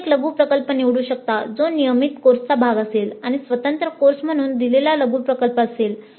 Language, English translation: Marathi, You can choose a mini project that is part of a regular course or a mini project offered as an independent course